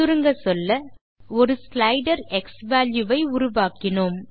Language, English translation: Tamil, To summarize, We made a slider xValue